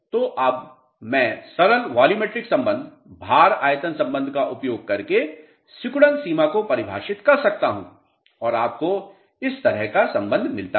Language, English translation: Hindi, So, now, I can define shrinkage limit which is by using simple volumetric relationship, weight volume relationship, you get relationship like this